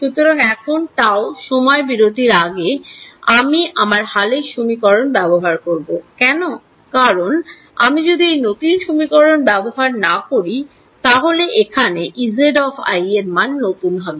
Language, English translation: Bengali, So, now, before this period of interval tau goes I should use my update equation why because, if I do not use this update equation then this guy over here E z i would have got a new value